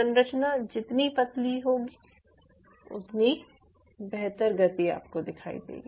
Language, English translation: Hindi, thinner the structure, you will see much more better motion